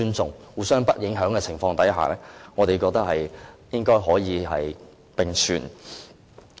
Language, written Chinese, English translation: Cantonese, 在互相不影響的情況下，我們覺得兩者應該可以並存。, In our opinion they should be able to co - exist without affecting each other